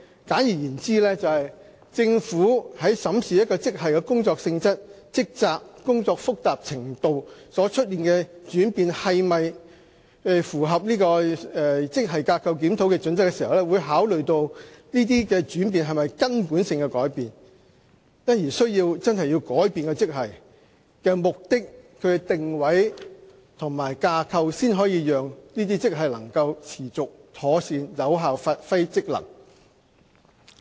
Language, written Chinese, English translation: Cantonese, 簡而言之，政府在審視一個職系的工作性質、職責和工作複雜程度所出現的轉變，是否符合職系架構檢討的準則時，會考慮這些轉變是否根本性的改變，因而真的需要改變該職系的定位及架構，才能讓這些職系可持續及妥善有效地發揮職能。, In short when examining whether the changes in the job nature level of responsibilities and job complexity of certain grades comply with the criteria for a GSR the Government will consider whether these changes are fundamental such that it is essential to change the positioning and structure of the grades for sustainable and effective functioning